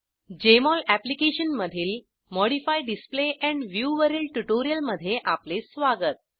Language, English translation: Marathi, Welcome to this tutorial on Modify Display and View in Jmol Application